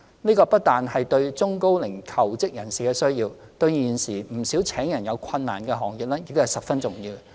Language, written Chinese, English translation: Cantonese, 這不僅是中高齡求職人士的需要，對現時不少聘請人手有困難的行業亦十分重要。, Such services are needed not merely by the elderly and the middle - aged but are also important to many trades facing difficulties in staff recruitment